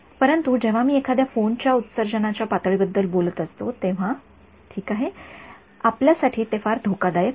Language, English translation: Marathi, But when I am talking about the radiation levels from a phone it is ok, it is not something very dangerous for us